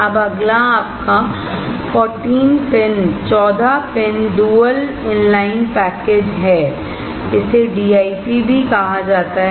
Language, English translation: Hindi, Now, next one is your 14 pin dual inline package; it is also called DIP